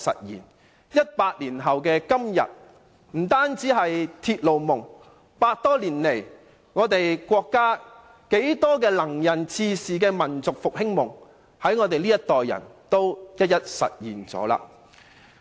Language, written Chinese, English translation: Cantonese, 一百年後的今天，不單是鐵路夢，就連100多年來國家多位能人志士的民族復興夢，也在我們這個世代一一實現了。, Yet today a whole century later both the dream of railway and the dream of reviving our great nation dreamed by the numerous capable people of China do become a reality in our generation